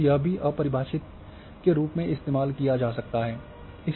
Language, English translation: Hindi, So, that can also be used as undefined